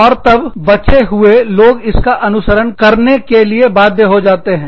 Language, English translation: Hindi, And then, the rest of the people, were forced to follow